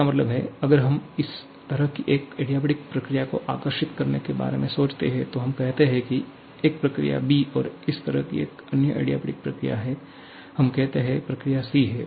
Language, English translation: Hindi, That means, if we have one adiabatic process sorry, if we think about drawing one adiabatic process somewhat like this, let us say a process b